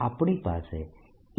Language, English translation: Gujarati, we have e